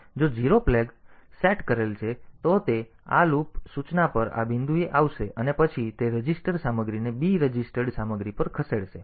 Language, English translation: Gujarati, So, if a 0 flag is set, then it will be coming to this loop instruction this point back and then otherwise it will move the a register content to b registered content